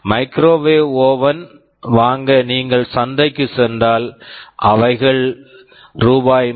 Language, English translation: Tamil, Suppose you have gone to the market to buy a microwave oven, they are available for prices ranging for Rs